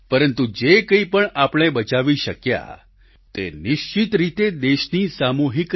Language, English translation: Gujarati, But whatever we have been able to save is a result of the collective resolve of the country